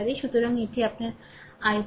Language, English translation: Bengali, So, this is your i 1